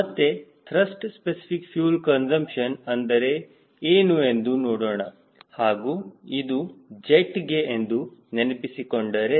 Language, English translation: Kannada, let us revisit what is the definition of thrust specific fuel consumption and if you recall it is for jet